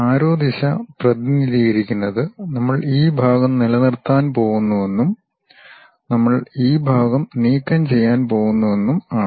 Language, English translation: Malayalam, So, the arrow direction represents we are going to retain this part and we are going to remove this part